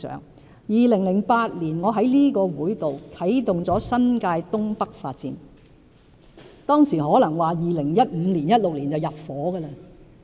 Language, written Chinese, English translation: Cantonese, 我於2008年在立法會啟動新界東北發展計劃，當時預計2015年或2016年便入伙。, As Members must recall I used to be the Secretary for Development and had launched in 2008 the North East New Territories New Development Area project in this Council